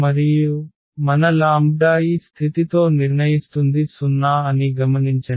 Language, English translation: Telugu, And, note that our lambda which we will get with this condition that the determinant is 0